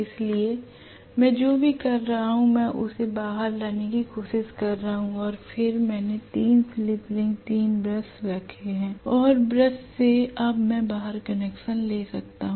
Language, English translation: Hindi, So what am doing is I am trying to bring it out and then I have put 3 slip rings, 3 brushes from the brush now I can take the connection outside